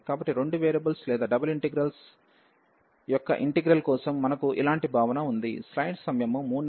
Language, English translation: Telugu, So, similar concept we have for the integral of two variables or the double integrals